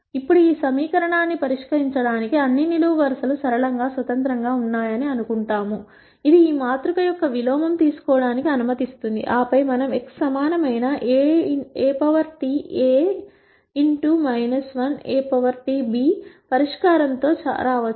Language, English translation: Telugu, Now to solve this equation we will assume that all the columns are linearly independent which allows us to take the inverse of this matrix, and then we can come up with a solution x equal a transpose a inverse a transpose b